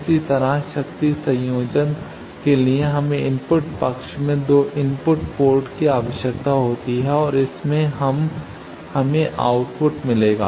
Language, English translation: Hindi, Similarly for power combining we require 2 inputs 2 ports in the input side and that will give us output